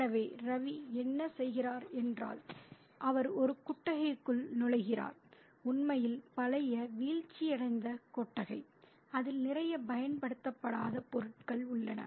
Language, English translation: Tamil, So, what Ravi does is, he enters a shed, a really old decrepit shed, which has a lot of unused stuff